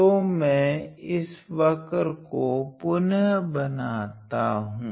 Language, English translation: Hindi, So, again I am drawing this curve again